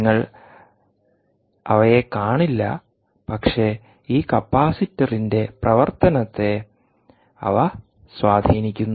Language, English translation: Malayalam, you wont see them, but they have their effect on the performance of this capacitor